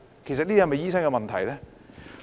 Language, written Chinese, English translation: Cantonese, 這是否醫生的問題呢？, Is this a problem with doctors?